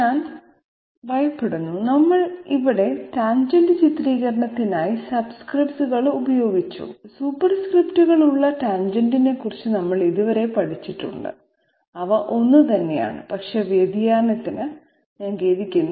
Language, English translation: Malayalam, I am afraid, here we have used subscripts for the tangent depiction while we have up till now studied about tangent with superscripts, they are the very same thing but I sorry for the deviation